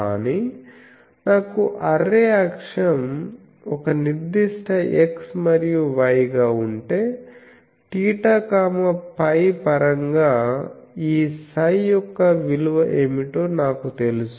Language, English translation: Telugu, But, if I have the array axis as a particular x and y, then I know that what is the value of this psi in terms of theta phi